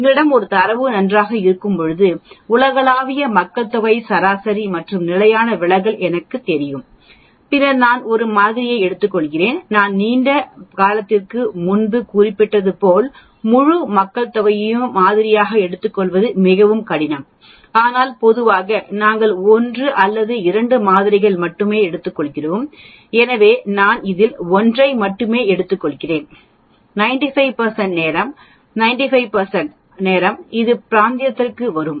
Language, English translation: Tamil, When we have a data set well I know the global population mean and standard deviation and then I suppose I take 1 sample in it as I mentioned long time back it is very difficult to take the entire population for sampling, but normally we will take only 1 or 2 samples, so I take only 1 out of this and 95 percent of the time 95 percent of the time it will fall within this region